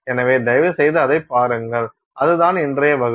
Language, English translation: Tamil, So, please take a look at it and that is our class for today